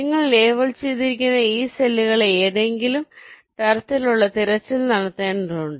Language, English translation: Malayalam, you have to do some kind of searching of this cells which you have labeled